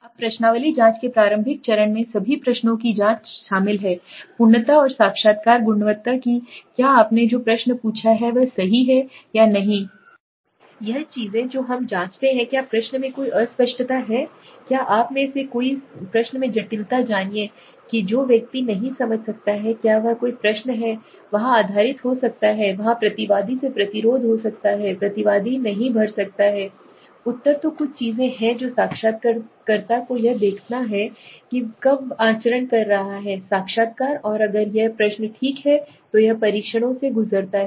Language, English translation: Hindi, Now the initial step in questionnaire checking involves the check of all the questions for completeness and interviewing quality whether the question which you have asked is it right or not if this things which we check is there any ambiguity in the question right is there any you know complicacy in the question that a person might not understand is there any question which there could be based there could be resistance from respondent the respondent might not fill the answer so there are certain things that the interviewer has to see when he is conducting the interview and if this questions are okay it pass through the tests then fine right